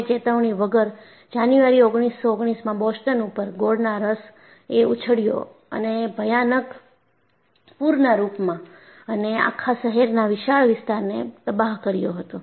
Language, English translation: Gujarati, Without warning, in January 1919, molasses surged over Boston and a frightful flood devastated a vast area of the city